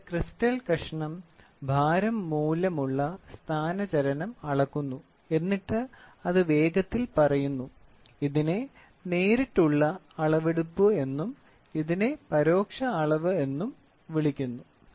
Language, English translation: Malayalam, So, here we put a piece of crystal and the piece of crystal measures the weight displacement and then it quickly tells, this is called as direct measurement and this is called the indirect measurement